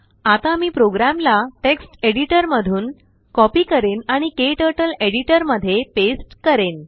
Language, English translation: Marathi, I will copy the program from text editor and paste it into KTurtles Editor